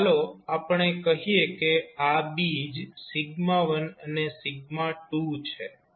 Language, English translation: Gujarati, So, let us say these roots are sigma 1 and sigma 2